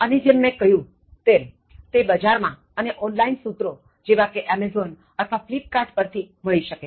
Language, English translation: Gujarati, And as I said, it is easily available in the market as well as on online sources like, Amazon or Flipkart